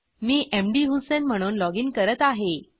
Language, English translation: Marathi, I will login as mdhusein